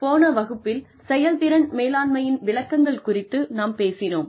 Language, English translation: Tamil, We talked about, the definitions of performance management, in the last class